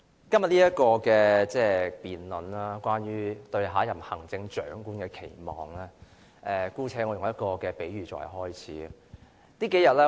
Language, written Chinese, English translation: Cantonese, 代理主席，今天這項有關"對下任行政長官的期望"的辯論，我姑且以一個比喻作為開始。, Deputy President let me make an analogy to start my speech on todays motion debate entitled Expectations for the next Chief Executive